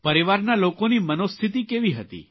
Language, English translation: Gujarati, How were family members feeling